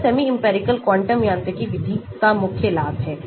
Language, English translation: Hindi, that is the main advantage of semi empirical quantum mechanics method